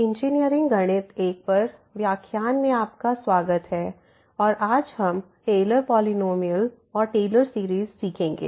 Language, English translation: Hindi, Welcome back to the lectures on Engineering Mathematics I and today’s we will learn Taylor’s Polynomial and Taylor Series